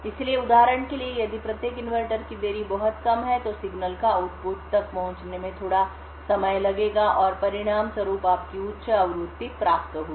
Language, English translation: Hindi, So, for example, if the delay of each inverter present is a very short then the signal would take a shorter time to reach the output and as a result you will get a higher frequency